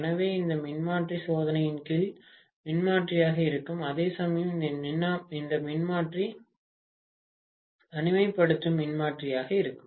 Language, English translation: Tamil, So, this transformer will be transformer under test, whereas this transformer will be isolation transformer, got it